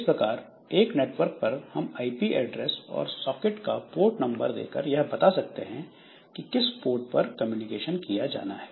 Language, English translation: Hindi, So, this way over a network we can specify the IP address and the socket port number by that we can tell to which communication to which port the communication should take place